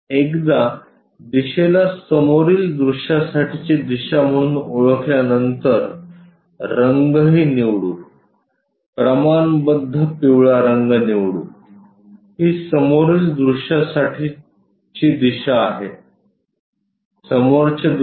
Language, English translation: Marathi, Once we identify this one as the front view direction, let us pick the color also proportionately yellow one, this is the front view direction front view